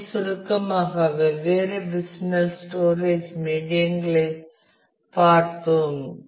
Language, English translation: Tamil, So, to summarize we have looked at different physical storage media